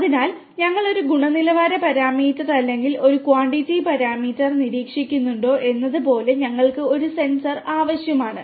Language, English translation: Malayalam, So, like whether we are monitoring a quality parameter or a quantity parameter all we need a sensor